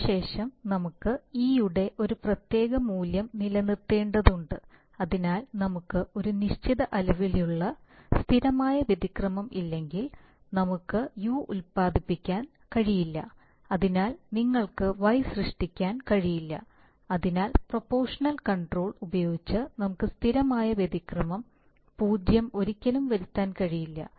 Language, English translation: Malayalam, Then we have to maintain a particular value of e, so unless we have a certain amount of steady state error, we cannot generate U and therefore which you cannot generate y so we cannot make steady state error 0 ever, using proportional control, that is what it turns out to be